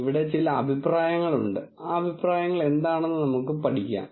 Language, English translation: Malayalam, There are certain comments here, let us study what those comments are